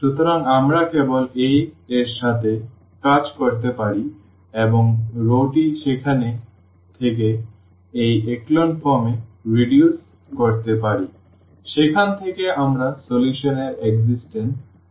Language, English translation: Bengali, So, we can just work with the A itself and get the row reduced this echelon form from there we can conclude the existence of the solution